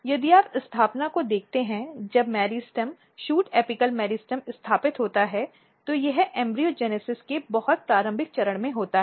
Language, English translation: Hindi, If you look the establishment when the meristem shoot apical meristem is established it happens at very very early stage of embryogenesis